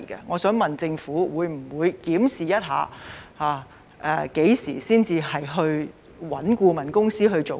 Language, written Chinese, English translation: Cantonese, 我想問特區政府會否檢視何時才應委聘顧問公司？, I wish to ask the SAR Government whether it will examine when a consultant should be engaged?